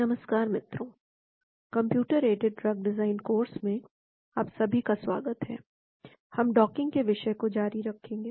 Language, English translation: Hindi, Hello everyone, welcome to the course on computer aided drug design, we will continue on the topic of docking